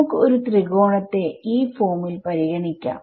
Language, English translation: Malayalam, So, let us let us consider a triangle of this form ok